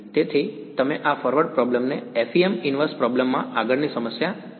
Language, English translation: Gujarati, So, you could do forward problem in FEM inverse problem like this right and